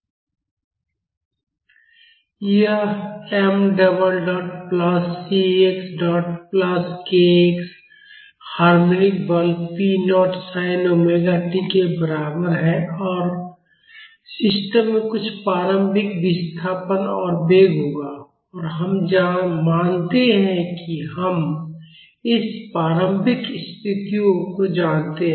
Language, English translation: Hindi, It is mx double dot plus cx dot plus kx is equal to the harmonic force p naught sin omega t and the system will have some initial displacement and velocity and we assume that we know this initial conditions